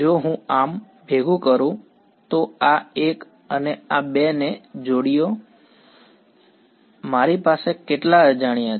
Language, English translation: Gujarati, If I combine so, combine this 1 and this 2, how many unknowns do I have